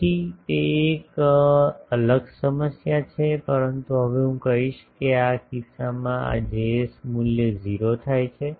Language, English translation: Gujarati, So, that is a different problem, but I will now say that in this case these Js value become 0